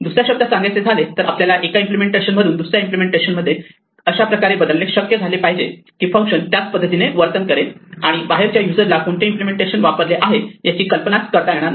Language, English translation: Marathi, In other words, we should be able to change one implementation to another one such that the functions behave the same way and the outside user has no idea which implementation is used